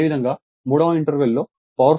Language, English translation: Telugu, Similarly, interval three, power factor is 0